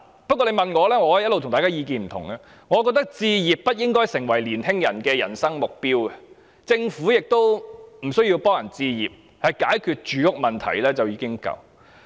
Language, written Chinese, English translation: Cantonese, 不過，如果問我——我的意見一向與大家不同——我認為置業不應該成為青年人的人生目標，政府亦無須協助市民置業，單單解決住屋問題便已足夠。, However in my opinion which is always different from other people I do not think that young people should consider home ownership as a goal in life nor should the Government assist members of the public in home ownership . All it has to do is to resolve the housing problem